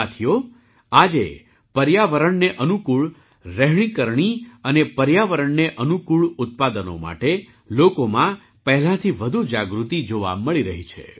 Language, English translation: Gujarati, Friends, today more awareness is being seen among people about Ecofriendly living and Ecofriendly products than ever before